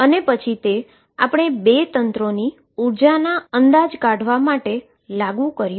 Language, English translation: Gujarati, And then we applied it to estimate energies of 2 systems